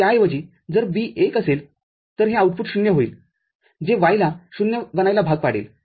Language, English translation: Marathi, So, instead of that, if B is 1, this output will be 0 which will force the Y to be 0